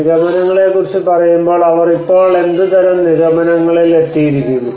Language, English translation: Malayalam, So what kind of conclusions they have come up with now when we say about the conclusions